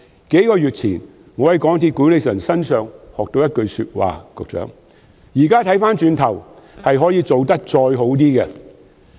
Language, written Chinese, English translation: Cantonese, 我在數月前從港鐵公司管理層身上學到一句說話："如今回首一看，可以做得較好。, I learned a remark from the MTRCL management several months ago which goes In hindsight things could have been done better